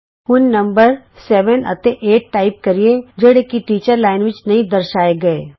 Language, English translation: Punjabi, Now, lets type the numbers seven amp eight, which are not displayed in the Teachers Line